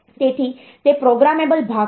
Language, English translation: Gujarati, So, that is what a programmable part